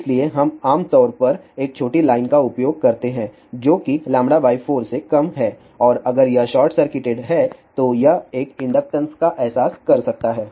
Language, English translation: Hindi, So, we generally use a smaller line which is less than lambda by 4 and if it is short circuited it can realize a inductance